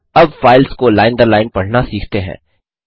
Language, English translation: Hindi, Now, let us learn to read the file line by line